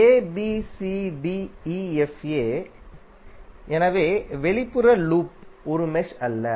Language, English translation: Tamil, Abcdefa so outer loop is not a mesh